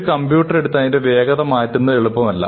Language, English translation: Malayalam, It is not easy to take a computer and change its speed